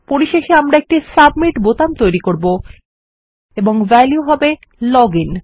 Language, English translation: Bengali, And finally well create a submit button and its value will be Log in